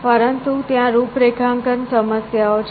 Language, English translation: Gujarati, So, that is another configuration problem